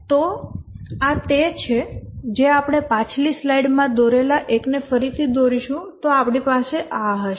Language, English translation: Gujarati, If we redraw the one that we had drawn in the previous slide, we will have this